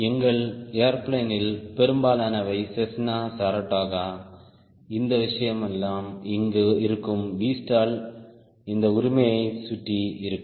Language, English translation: Tamil, most of our airplane, cessna, saratoga, all this thing there will be v stall will be around this right